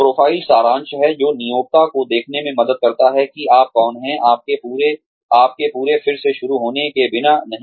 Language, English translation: Hindi, Profile summary is, what helps the employer see, who you are, without having to go through your entire resume